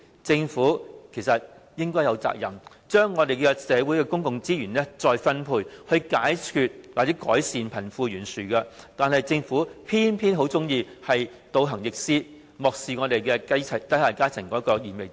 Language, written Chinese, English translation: Cantonese, 政府有責任將社會的公共資源再分配，解決或改善貧富懸殊，但卻偏偏喜歡倒行逆施，漠視低下階層的燃眉之急。, It is the responsibility of the Government to redistribute public resources in society to tackle or alleviate the wealth gap . But then it has simply done the opposite thing turning a blind eye to the urgent needs of the lower strata